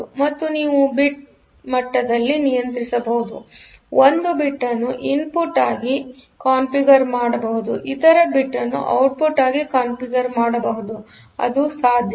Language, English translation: Kannada, So, you can to control at the bit level may be one bit is configured as input, other bit configure as output; so, that is possible